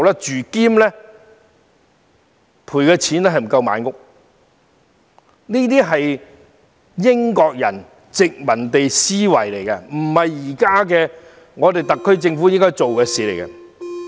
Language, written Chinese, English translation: Cantonese, 這是英國人的殖民地思維，不是特區政府現時應做的事情。, This is the mindset adopted in the past by the British colonial administration but the SAR Government should never follow suit